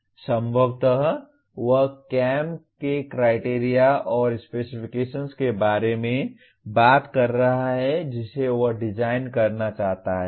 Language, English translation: Hindi, Possibly he is talking about criteria and specifications of the CAM that he is supposed to design